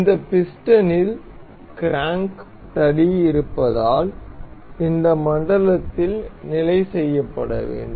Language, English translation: Tamil, Because this piston has the crank rod has to be fixed in this zone